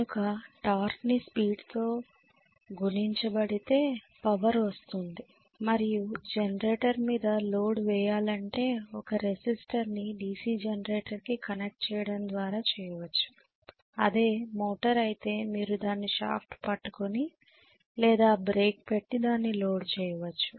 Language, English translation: Telugu, So it is torque multiplied by speed and loading a generator you will do it by connecting a resistance if it is a DC generator, loading a motor you will do it by maybe holding the shaft, putting a break, right